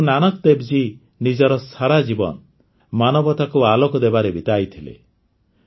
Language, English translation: Odia, Throughout his life, Guru Nanak Dev Ji spread light for the sake of humanity